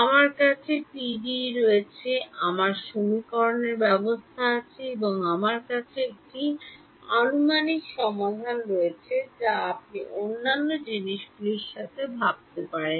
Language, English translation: Bengali, I have the PDE s, I have a system of equations and I have an approximate solution what other things can you think of